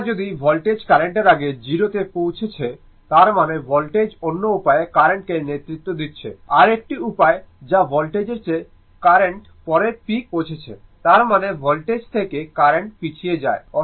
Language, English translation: Bengali, Or if voltage is reaching 0 before the current; that means, voltage is leading the your what you call current other way is, other way that current is your reaching peak later than the voltage; that means, current lags from the voltage